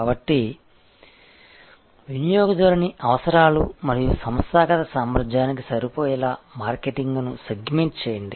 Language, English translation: Telugu, So, segment the market to match the customer needs and organizational capability